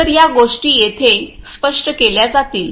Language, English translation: Marathi, So, these things are going to be explained over here